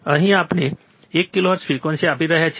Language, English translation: Gujarati, Here we are applying one kilohertz frequency